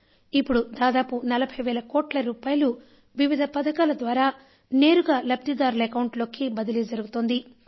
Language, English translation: Telugu, Till now around 40,000 crore rupees are directly reaching the beneficiaries through various schemes